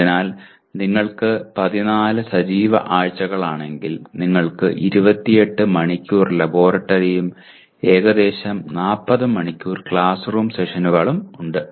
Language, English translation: Malayalam, So generally if you have 14 weeks, active weeks that you have, you have 28 hours of laboratory and about 40 hours of classroom sessions